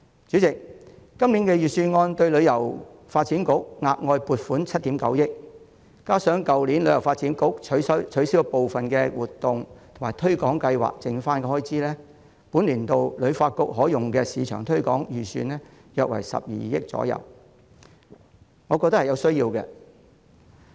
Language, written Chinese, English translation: Cantonese, 主席，今年的預算案向香港旅遊發展局額外撥款7億 9,000 萬元，加上去年旅發局取消了部分活動及推廣計劃後的餘款，本年度旅發局可用的市場推廣預算約為12億元，我認為有其必要。, President with an additional amount of 790 million allocated to the Hong Kong Tourism Board HKTB in this years Budget as well as the money left behind from cancellation of some activities and promotional programmes by HKTB last year the marketing budget available to HKTB for the current year is estimated to be 1.2 billion which I consider necessary